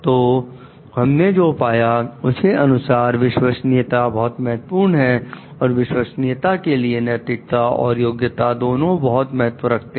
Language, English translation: Hindi, So, what we found is that trustworthiness is important and for trustworthiness, it is a matter of both ethics and competence